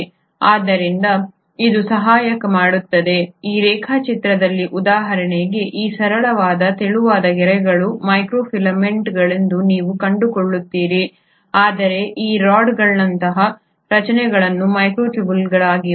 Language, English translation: Kannada, So it also helps so in this diagram for example you will find that these straight thin lines are the microfilaments while these rod like structures are the microtubules